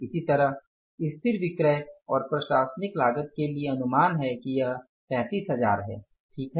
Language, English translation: Hindi, Similarly for fixed selling and administrative cost it is estimated here is 33,000 right